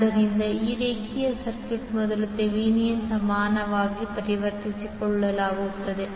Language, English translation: Kannada, So this linear circuit will first convert into Thevenin equivalent